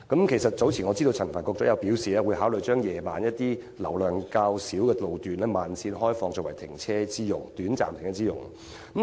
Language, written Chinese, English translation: Cantonese, 我知道陳帆局長早前表示，會考慮把一些於晚間車流較少路段的慢線，開放作為短暫停泊車輛之用。, I know Secretary Frank CHAN has said earlier that the Government is considering opening up some slow lanes with less vehicular traffic at night for temporary parking of cars